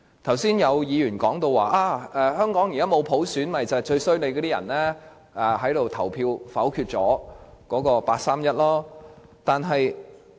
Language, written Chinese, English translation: Cantonese, 剛才有議員說，香港現在沒有普選是由於我們這些人投票否決八三一方案。, Just now some Members said that Hong Kong does not have universal suffrage because we vetoed the 31 August package